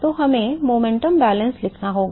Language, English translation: Hindi, So, we have to write the momentum balance